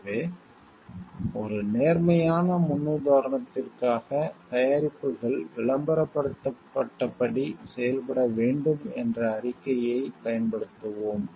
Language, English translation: Tamil, So, for a positive paradigm we will use the statement that products should perform as advertised